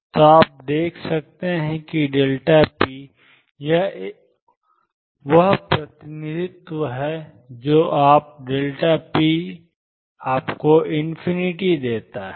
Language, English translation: Hindi, So, you can see that delta p, this is the representation gives you the delta p is infinite